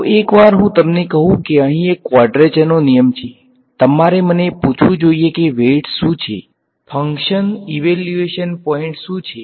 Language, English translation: Gujarati, So, once I give you once I tell you that here is a quadrature rule, you should ask me what are the weights, what are the function evaluation points